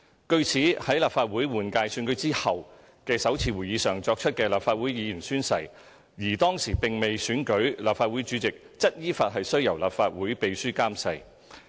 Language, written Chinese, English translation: Cantonese, 據此，在立法會換屆選舉後的首次會議上作出的立法會議員宣誓，而當時並未選舉立法會主席，則依法須由立法會秘書監誓。, As such the taking of oaths by Legislative Council Members at the first sitting after a general election and before the election of the President of the Council shall be administered by the Clerk to the Council in accordance with law